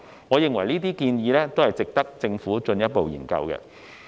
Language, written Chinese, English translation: Cantonese, 我認為這些建議值得政府進一步研究。, I consider these suggestions worthy of further study by the Government